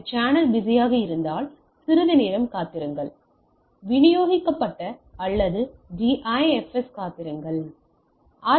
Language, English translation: Tamil, If it is channel is busy wait for some time, wait for a distributed or DIFS, sends RTS, wait for CTS